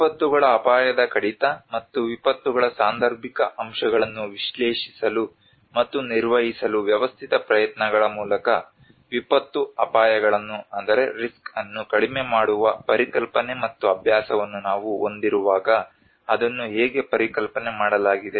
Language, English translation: Kannada, Disaster risk reduction and how it has been conceptualized when we have the concept and practice of reducing disaster risks through a systematic efforts to analyse and manage the casual factors of disasters